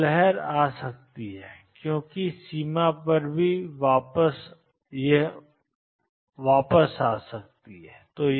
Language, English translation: Hindi, So, the wave could be coming in and because as the boundary could also be going back and